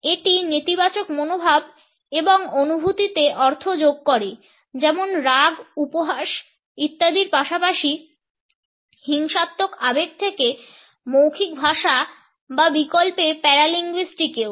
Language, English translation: Bengali, It adds to the meaning of negative attitudes and feelings like anger ridicule etcetera as well as violent emotions to verbal languages or paralinguistic alternates